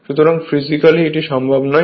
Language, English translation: Bengali, So, it is physically not possible